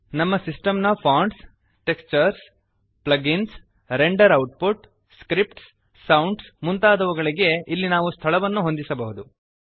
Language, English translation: Kannada, Here we can set the location of Fonts, Textures, Plugins, Render output, Scripts, Sounds, etc